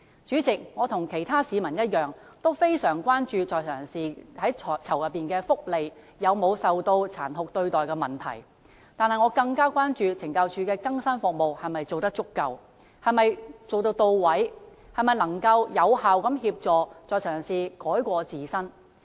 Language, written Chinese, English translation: Cantonese, 主席，我與其他市民一樣，非常關注在囚人士的福利及有否受到殘酷對待的問題，但我更關注懲教署的更生服務是否做得足夠、到位，能否有效協助在囚人士改過自新。, President like many people I care very much about the inmates welfare and whether they have been cruelly treated . However I am more concerned about whether the rehabilitation services of CSD are adequate and can effectively help inmates turn over a new leaf